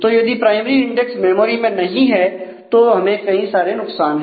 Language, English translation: Hindi, So, primary index if it is not in the memory then we usually have a lot of disadvantage